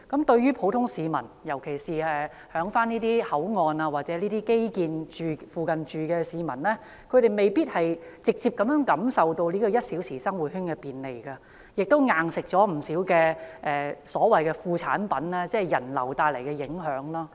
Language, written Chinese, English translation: Cantonese, 對於普通市民，尤其是在這些口岸或基建附近居住的市民，他們未必直接感受到"一小時生活圈"的便利，卻已"硬食"了不少所謂"副作用"，即人流增加帶來的影響。, The ordinary citizens especially those living near these ports or such infrastructure may not be able to benefit directly from the convenience brought by the one - hour living circle . In fact they have to bear the brunt of a lot of the so - called side effects that is the impact due to the increase in people flow